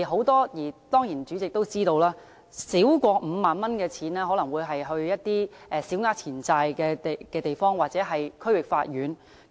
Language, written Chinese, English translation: Cantonese, 當然，代理主席也知道，少於5萬元的個案可能要交小額錢債審裁處或區域法院處理。, Certainly the Deputy President should also know that cases involving less than 50,000 might have to be heard by the Small Claims Tribunal or District Courts